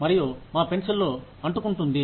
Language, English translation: Telugu, And, we would stick a pencil in